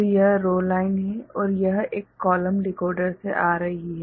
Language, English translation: Hindi, So, this is the row line and this is coming from a column decoder